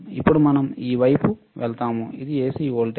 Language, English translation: Telugu, Now we go towards, this side, this is AC voltage